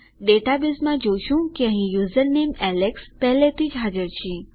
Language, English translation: Gujarati, In the database we can see here that username alex already exists